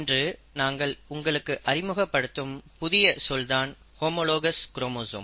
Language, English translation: Tamil, Now what we are going to introduce today is one more term which is called as the homologous chromosome